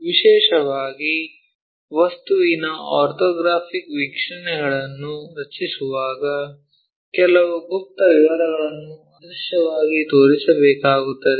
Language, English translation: Kannada, Especially, when drawing the orthographic views of an object, it will be required to show some of the hidden details as invisible